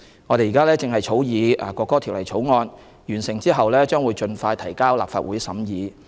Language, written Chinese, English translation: Cantonese, 我們正在草擬《國歌條例草案》，完成後將盡快提交立法會審議。, We are in the process of drafting the National Anthem Bill the Bill which will be introduced into the Legislative Council for scrutiny as soon as it is completed